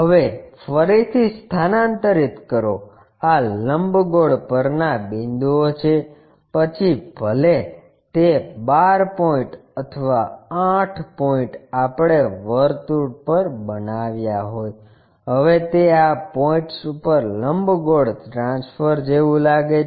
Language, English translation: Gujarati, Now, again transfer this is ellipsoidal the points, whatever those 12 points or 8 points we made on the circle, now it looks like ellipsoid transfer these points all the way up